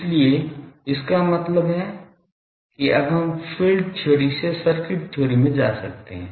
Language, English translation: Hindi, So; that means, we can now go at our will from field theory to circuit theory